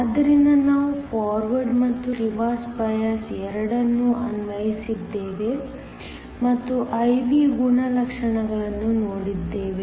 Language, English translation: Kannada, So, we applied both a Forward and a Reverse bias and looked at the I V characteristics